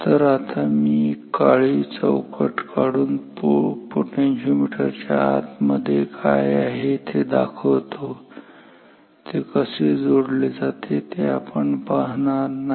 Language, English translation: Marathi, So, right now I am drawing it as a black box put in what is there inside potentiometer, how it is connected that we are not going to discuss